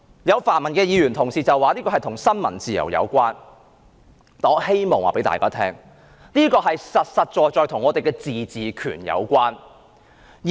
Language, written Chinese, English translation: Cantonese, 有泛民議員說這與新聞自由有關，但我告訴大家，這實在與香港的自治權有關。, Some pan - democratic Members have said that this is related to freedom of the press but I would like to tell Members that this is actually related to the autonomy of Hong Kong